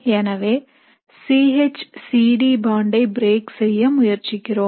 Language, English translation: Tamil, So C H C D bond we are trying to break